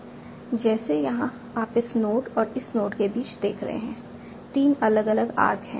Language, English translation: Hindi, Like here you are seeing between this node and this node, there are three different arcs